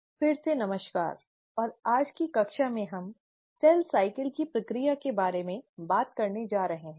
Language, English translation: Hindi, So hello again and in today’s class we are going to talk about the process of cell cycle